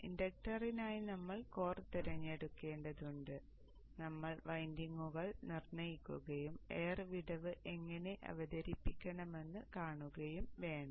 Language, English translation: Malayalam, We need to choose the core for the inductor and we need to determine the windings and see how to introduce the air gap